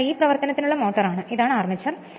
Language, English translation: Malayalam, So, this is the motor in operation and this is the armature